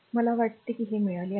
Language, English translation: Marathi, I think you have got it, right